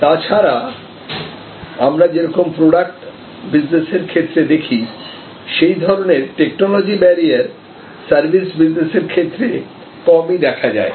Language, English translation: Bengali, But, otherwise as we see in product businesses there are very seldom, very strong technology barriers in services businesses